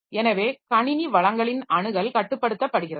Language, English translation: Tamil, So, ensure that all access to system resources is controlled